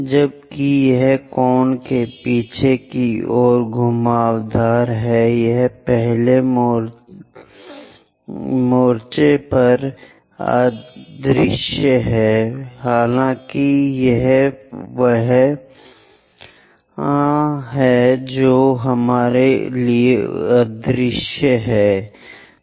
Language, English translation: Hindi, While it is winding the backside of the cone, it will be invisible at first front though it is there it is invisible for us